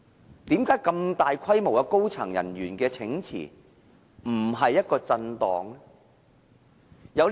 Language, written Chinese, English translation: Cantonese, 為何這麼大規模的高層人員請辭，不是一種震盪呢？, Why the massive resignation of high - ranking staff at ICAC is not a kind of shock?